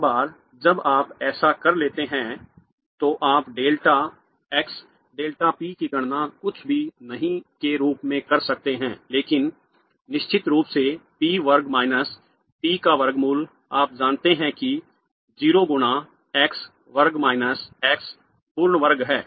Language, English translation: Hindi, Once you have done that you can calculate delta x delta p as nothing but the square root of p square minus p of course you know that's 0 times x square minus x square minus x whole square and you should be able to verify that this answer is greater than or equal to h bar by 2